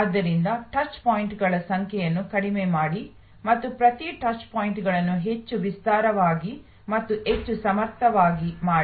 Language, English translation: Kannada, So, reduce the number of touch points and make each touch point more comprehensive and more capable